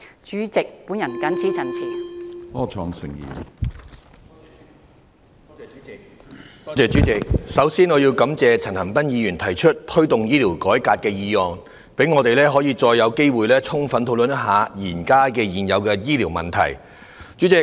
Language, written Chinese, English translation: Cantonese, 主席，我首先感謝陳恒鑌議員動議"推動醫療改革"議案，讓我們有機會充分討論現存的醫療問題。, President first of all I would like to thank Mr CHAN Han - pan for moving the motion entitled Promoting healthcare reform so that we can take the opportunity to have an exhaustive discussion on the existing healthcare problems